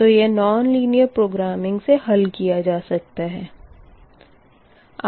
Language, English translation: Hindi, it takes more time than non linear programming